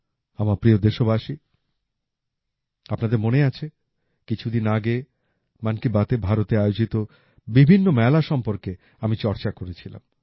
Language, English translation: Bengali, My dear countrymen, you might remember that some time ago in 'Mann Ki Baat' I had discussed about the large number of fairs being organized in India